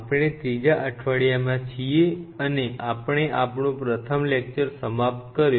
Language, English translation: Gujarati, So, we are in week 3 and we have finished our first class